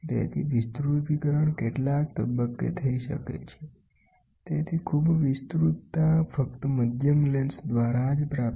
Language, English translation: Gujarati, So, magnification can happen at several stages thus, highly magnification can be achieved only by moderate lenses